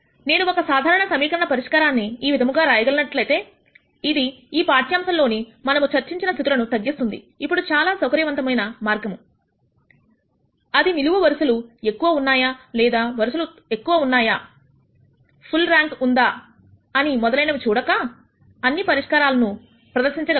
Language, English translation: Telugu, If I can write one general solution like this which will reduce to the cases that we discussed in this lecture, then that is a very convenient way of representing all kinds of solutions instead of looking at whether the number of rows are more, number of columns are more, is rank full and so on